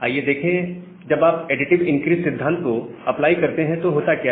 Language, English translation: Hindi, Now, let us see what happens, if you apply a additive increase principle